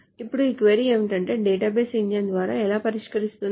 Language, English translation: Telugu, Now the question is how does the database engine solve it